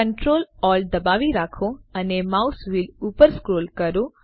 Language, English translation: Gujarati, Hold ctrl, alt and scroll the mouse wheel upwards